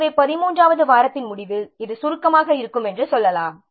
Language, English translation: Tamil, So we can say that activity summary at the end of 13th week is green